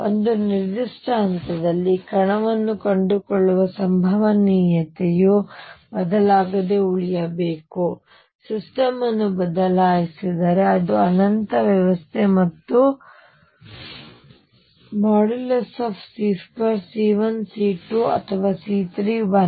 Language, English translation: Kannada, Probability of finding a particle at a particular point should remain unchanged, if I shift the system because is it is infinite system and therefore, mod c square whether it is C 1